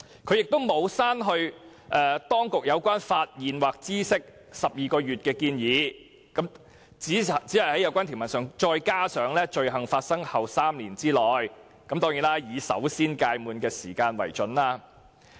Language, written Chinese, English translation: Cantonese, 他沒有刪去當局有關"發現或知悉有關罪行後12個月"的建議，只是在有關條文中再加上"罪行發生後的3年內"，並"以首先屆滿的期間為準"。, He does not seek to delete within 12 months after the offence is discovered by or comes to the notice of as proposed by the authorities; he only adds within 3 years after the commission of the offence and whichever period expires first in the provision